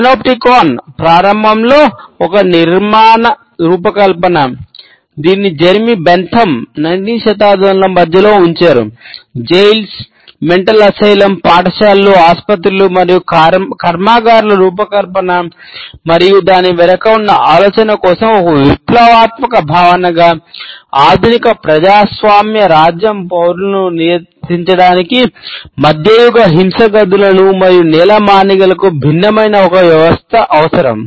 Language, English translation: Telugu, As a revolutionary concept for the design of prisons, insane asylum, schools, hospitals and factories and the idea behind it, that the modern democratic state needed a system to regulate it citizens which was different from medieval torture rooms and dungeons